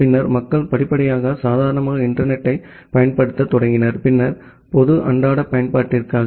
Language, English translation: Tamil, And then people gradually started using internet for normal, then general day to day usage